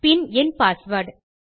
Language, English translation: Tamil, I type my password